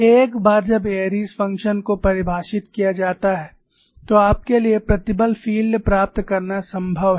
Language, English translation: Hindi, Once Airy's function is defined, it is possible for you to get the stress field